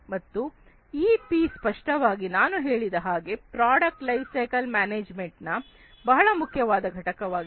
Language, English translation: Kannada, So, this P is obviously, as I was telling you so far the most important component of product lifecycle management